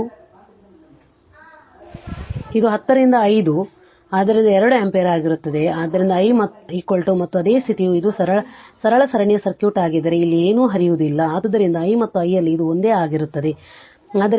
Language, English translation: Kannada, So, it will be 10 by 5 so 2 ampere, so i is equal to and same condition this is the simple series circuit then nothing is flowing here so i and i L this it is same right